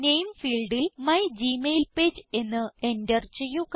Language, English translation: Malayalam, In the Name field, enter mygmailpage